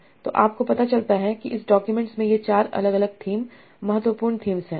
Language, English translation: Hindi, So you find out okay this this document contains these four different themes important things